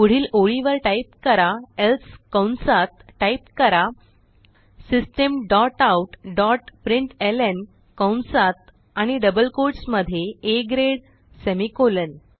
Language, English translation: Marathi, Next line type else within brackets type System dot out dot println within brackets and double quotes A grade semicolon